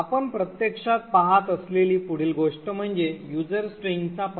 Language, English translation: Marathi, The next thing we actually look at is the address of user string